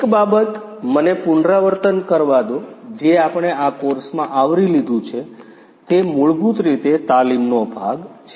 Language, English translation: Gujarati, One more thing let me repeat you know what we have covered in the course is basically the training part